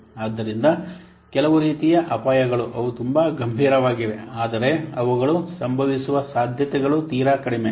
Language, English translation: Kannada, So some kinds of risks are there they are very serious but the very unlikely they will occur the chance of occurring them is very less